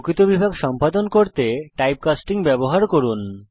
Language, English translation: Bengali, Use typecasting to perform real division